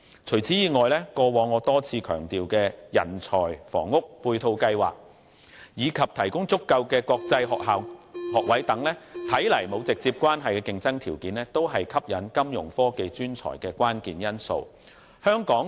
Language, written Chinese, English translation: Cantonese, 除此以外，過往我多次強調的人才房屋配套計劃，以及提供足夠的國際學校學位等看來沒有直接關係的競爭條件，也是吸引金融科技專才的關鍵因素。, In addition as I have repeatedly stressed in the past competitive edges which do not seem directly relevant such as a housing plan for talents and sufficient international school places can actually be key factors in attracting Fintech professionals